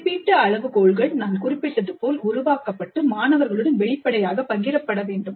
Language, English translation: Tamil, And the rubrics, as I mentioned, must be developed and shared upfront with the students